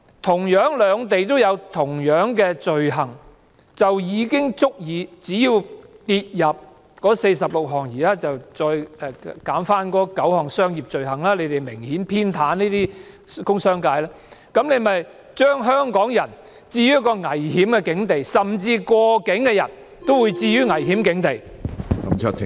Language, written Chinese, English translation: Cantonese, 同樣兩地有該等罪行，政府卻從這46項罪類中刪去了9項商業罪類，這是明顯偏袒工商界，是置香港人於一個危險的境地，甚至過境的人也會被置於危險的境地。, As long as the act concerned is an offence in both the requesting and requested jurisdictions the Government has however removed nine items of commercial offences from the 46 items of offences to do the business sector an obvious favour . At the same time it puts Hong Kong people and even transit travellers at risk